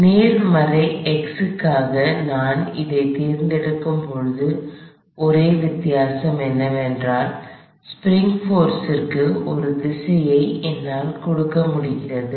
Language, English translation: Tamil, When I choose that for positive x, the only difference is I am able to give a direction to the spring force